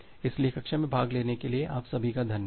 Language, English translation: Hindi, So, thank you all for attending the class